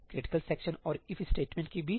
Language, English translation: Hindi, Between critical section and the If statement